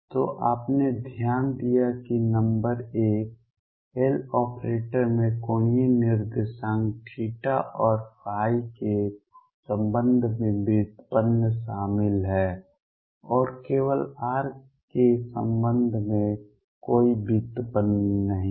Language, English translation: Hindi, So, you notice that number one, L operator involves derivative with respect to angular coordinates theta and phi only there is no derivative with respect to r